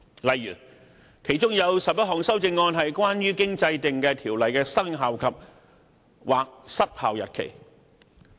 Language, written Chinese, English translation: Cantonese, 例如其中11項修正案關乎經制定的條例的生效或失效日期。, Eleven of the Amendments for instance relate to commencement or expiry dates of the enacted Ordinance